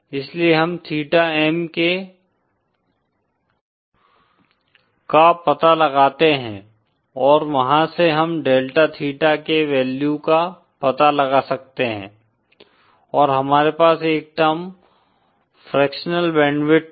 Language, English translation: Hindi, So we kind of find out the value of theta M and from there we can find out the value of, uhh; we can find out the value of delta theta and we have a term called fractional band width